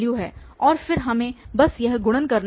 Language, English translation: Hindi, And then we have to just to perform this multiplication, this multiplication and then we have to add it